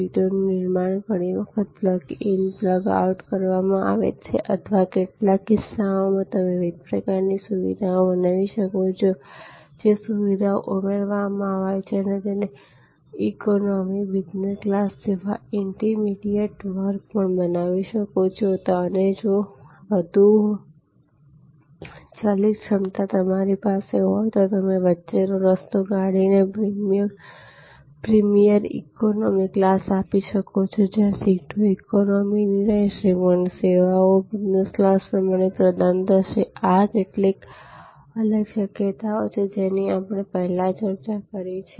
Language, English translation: Gujarati, The seats are so constructed there often plug in plug out type or in some cases you can create different kinds of facilities, which are add on facilities and you can even create an inter immediate class like say economy, business and in between you can create a variable capacity for, what we call a premier economy, where seats may be an economy seat, but the services will be equivalent to business class and so on